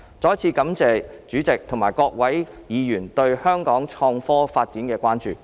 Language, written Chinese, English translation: Cantonese, 再一次感謝代理主席及各位議員對香港創科發展的關注。, I once again thank the Deputy President and all the Members for your concern about the IT development in Hong Kong